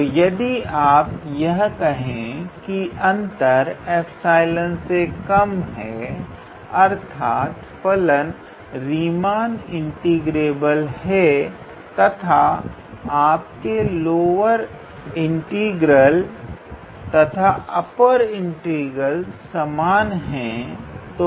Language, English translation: Hindi, That means, the function is Riemann integrable and your lower integral and upper integral are same